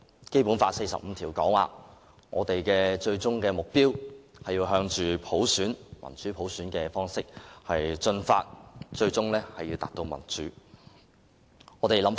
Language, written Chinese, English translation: Cantonese, 《基本法》第四十五條訂明，我們的最終目標是要向民主普選邁進，最終達至普選。, Article 45 of the Basic Law stipulates that the ultimate goal is to move towards democracy and universal suffrage and to attain universal suffrage in the end